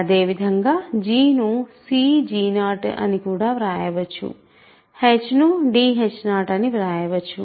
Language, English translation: Telugu, So, I am writing g h as cg 0 and d h 0 respectively